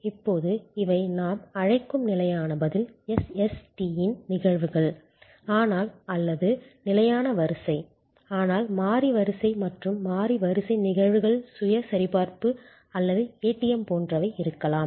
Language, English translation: Tamil, Now, these are instances of fixed response SST's as we call them, but or fixed sequence, but there can be variable sequence and variable sequence instances are like the self checking or ATM